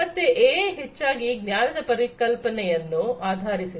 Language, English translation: Kannada, So, AI is heavily based on the concept of knowledge